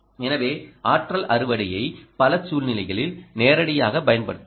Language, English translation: Tamil, so energy harvesting can be applied in many scenarios